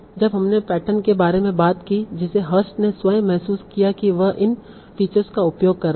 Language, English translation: Hindi, So when we talked about the patterns that Hurst built manually, he was using these features